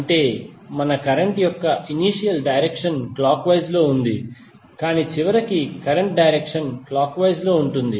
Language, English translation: Telugu, That means that our initial direction of current was clockwise but finally the direction of current is anti clockwise